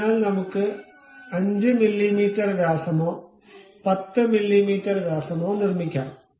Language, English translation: Malayalam, So, let us construct a 5 mm radius or 10 mm diameter